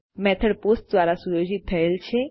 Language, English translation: Gujarati, The method is set to POST